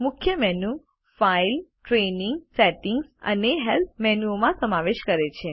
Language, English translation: Gujarati, The Main menu comprises the File, Training, Settings, and Help menus